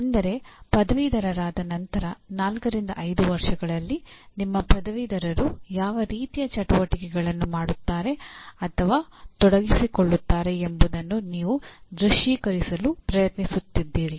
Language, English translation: Kannada, That means you are trying to visualize what kind of activities your graduates will be doing or involved in let us say in four to five years after graduation